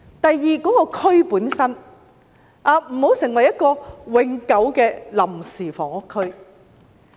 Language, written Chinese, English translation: Cantonese, 第二，該區本身不要成為永久的臨時房屋區。, Secondly the area should not become a permanent temporary housing area